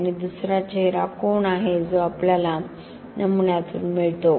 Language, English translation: Marathi, And second is face angle that we get from the specimen